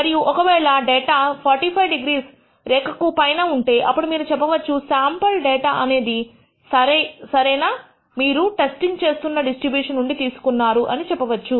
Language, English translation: Telugu, And if the data falls on the 45 degree line, then you can conclude that the sample data has been drawn from the appropriate distribution you are testing it against